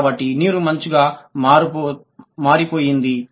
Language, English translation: Telugu, So, water turned into ice, right